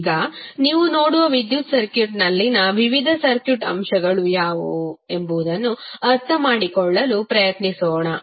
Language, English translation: Kannada, Now, let us try to understand, what are the various circuit elements in the electrical circuit you will see